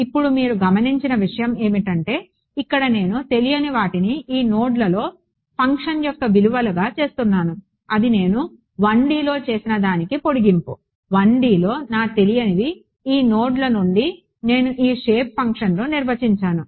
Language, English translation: Telugu, Now, you one thing you notice that here I am making the unknowns to be the values of the function at these nodes, that is the straightforward extension what I did in 1 D, in 1 D my unknowns were these nodes from that I define these shape functions right everything is good